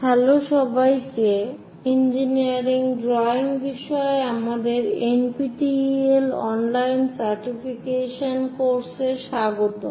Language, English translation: Bengali, Hello everyone, welcome to our NPTEL online certification courses on engineering drawing